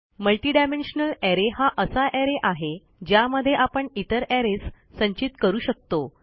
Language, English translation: Marathi, A multidimensional array is an array in which you can store other arrays